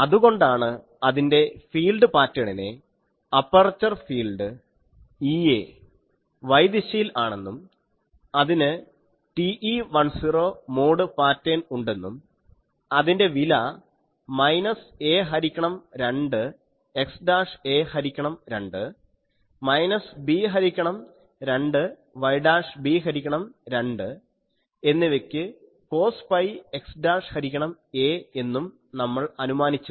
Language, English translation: Malayalam, So, that was the field pattern we assume that the aperture field Ea is y directed and having that TE10 mode pattern cos pi x dashed by a for minus a by 2 x dashed a by 2 minus b by 2 y dashed b by 2